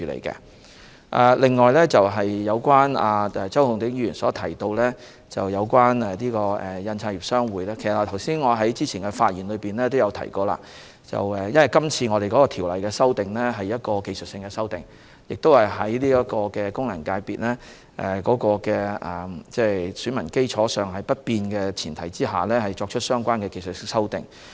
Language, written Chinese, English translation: Cantonese, 此外，周浩鼎議員提到有關香港印刷業商會，我在之前的發言表示，因為今次《2019年選舉法例條例草案》是技術性的修訂，是在功能界別選民基礎不變的前提下作出技術性修訂。, Besides Mr Holden CHOW mentioned the Hong Kong Printers Association . As stated in my earlier speech this Electoral Legislation Bill 2019 concerns technical amendments made on the premise that the electorate of FCs remains unchanged